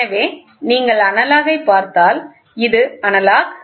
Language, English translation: Tamil, So, if you see analogous, this is analogous